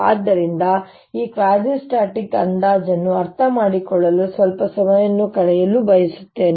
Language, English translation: Kannada, so i want to spend some time in understanding this quasistatic approximation